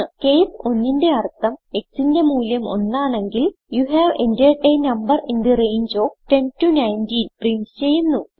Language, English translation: Malayalam, case 1 means if the value of x is 1 We print you have entered a number in the range of 10 19